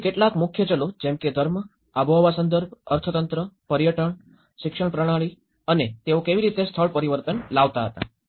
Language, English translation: Gujarati, So, some of the major drivers were the religion, climatic context, economy, tourism, education system and how they transform the place